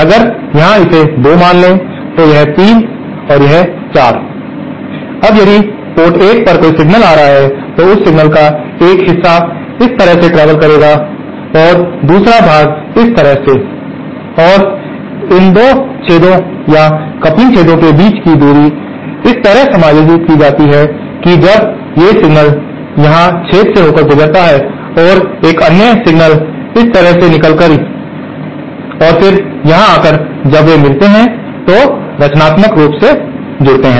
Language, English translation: Hindi, Now, if here suppose here 2, this is 3 and this is 4, now if there is a signal coming at port 1 then a part of that signal will travel like this and another part will travel like this and the distance between these 2 holes or coupling holes are so adjusted that when these a signal passing through a hole coming here and another single passing this way and then coming here, when they meet, they add constructively